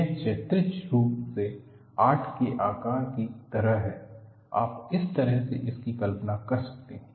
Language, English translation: Hindi, It is like a figure of eight, horizontally; you can imagine it that way